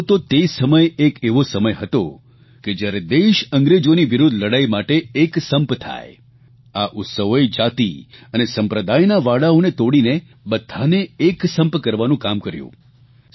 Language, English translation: Gujarati, This was the period when there was a need for people to get united in the fight against the British; these festivals, by breaking the barriers of casteism and communalism served the purpose of uniting all